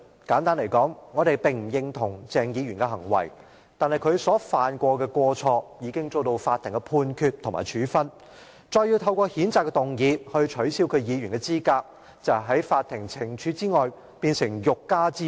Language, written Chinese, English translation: Cantonese, 簡單而言，我們不認同鄭議員的行為，但他所犯的過錯已遭受法庭判決及處分；要再透過譴責議案來取消他的議員資格，便成了法庭懲處外的欲加之罪。, Simply put we do not endorse Dr CHENGs behaviour but as the Court has passed a verdict and imposed punishment on his offence if we attempt to disqualify him from his office through a censure motion we are virtually seeking to trump up a charge against him other than the sentence handed down by the Court